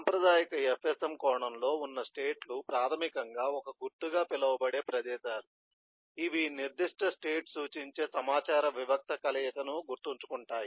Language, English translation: Telugu, so states in in the traditional fsm sense are basically place called that markers, which remember the kind of discrete combination of eh information that the particular represents